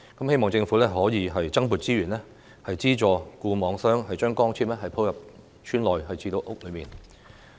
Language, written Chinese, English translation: Cantonese, 希望政府可以增撥資源，資助固網商將光纖鋪到村內及屋內。, It is hoped that the Government can provide more funding to subsidize fixed network operators to lay optical fibres to villages and homes